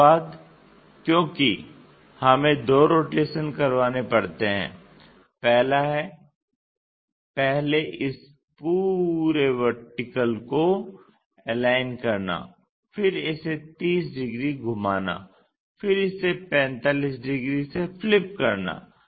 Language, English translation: Hindi, After that because two rotations we have to do; one is first aligning this entire vertical one, then rotating it by 30 degrees then flipping it by 45 degrees